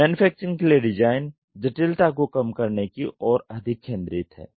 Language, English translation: Hindi, Manufacturing it is more focused towards minimizing complexity